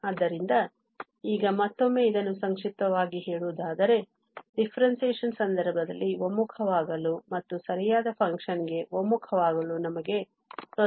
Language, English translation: Kannada, So, now just to again summarize this in case of the differentiation, we have difficulties for the convergence and also convergence to the right function